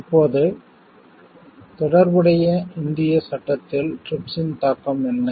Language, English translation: Tamil, Now what is the impact of TRIPS on relevant Indian legislation